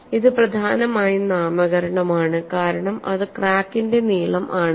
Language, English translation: Malayalam, This is a nomenclature primarily because it is the length of the crack